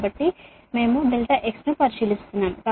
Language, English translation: Telugu, so we are considering delta x